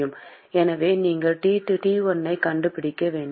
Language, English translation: Tamil, So, you should be able to find T1